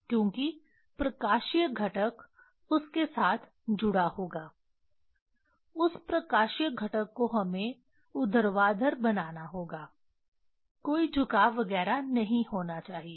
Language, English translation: Hindi, Because optical component will be attached with that that optical component we have to make vertical there should not be any tilt etcetera